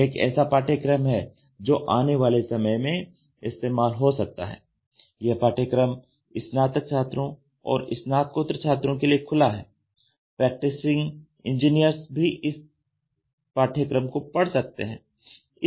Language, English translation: Hindi, So, this course is a futuristic course it is open for undergraduates and postgraduates practicing engineers can also enjoy this course